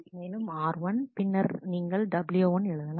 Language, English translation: Tamil, And then r 1 then you have w 1